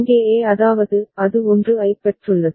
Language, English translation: Tamil, Here at e means, it is it has received 1